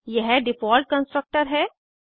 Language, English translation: Hindi, And Default Constructors